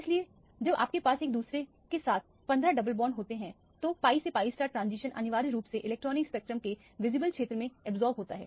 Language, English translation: Hindi, So, when you have 15 double bonds in conjugation with each other, the pi to pi star transition essentially absorbed in the visible region of the electronic spectrum